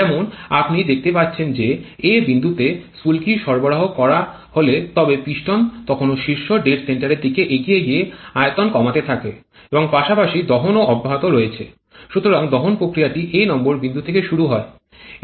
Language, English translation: Bengali, Like as you can see if the spark is provided set point number a then the piston is still moving towards the smallest volume towards the top dead center and also combustion also continuing along that so the combustion process starts at point number a